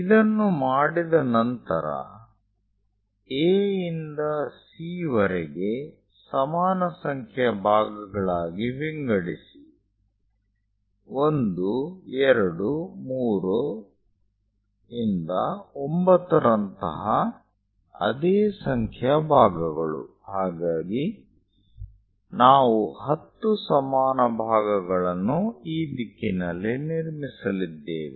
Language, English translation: Kannada, Once it is done, divide A to C into equal number of parts, same number of parts like 1, 2, 3 all the way to 9; so 10 equal parts we are going to construct on this side